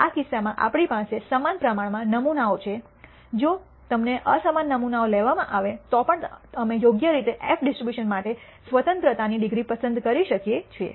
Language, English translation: Gujarati, In this case we have equal number of samples we have taken, even if you are taken unequal samples we can appropriately choose the degrees of freedom for the f distribution and compare